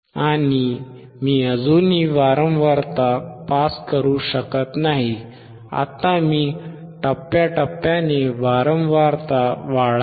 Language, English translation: Marathi, And I cannot still pass the frequency, now I keep on increasing the frequency in slowly in steps